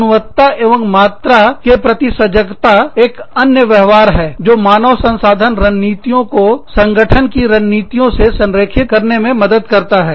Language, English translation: Hindi, Concern for quality and quantity is another behavior, that helps the HR strategies, align with the strategies of the organization